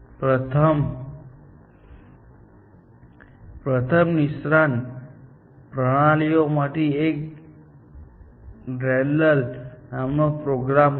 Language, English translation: Gujarati, One of the first expert systems was this program called DENDRAL